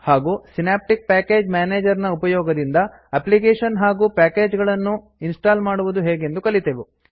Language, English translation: Kannada, If you are using the synaptic package manager for the first time, you need to reload the packages